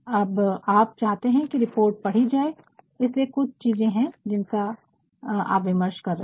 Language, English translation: Hindi, Now, you want your report to be read that is why there are certain and you are discussing also